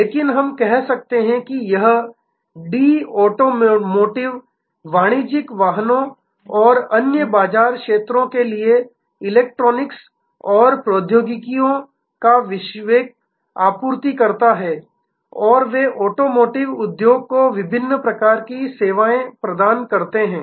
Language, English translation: Hindi, But, let us say this company D is a global supplier of electronics and technologies for automotive, commercial vehicles and other market segments and they provide various types of services to the automotive industry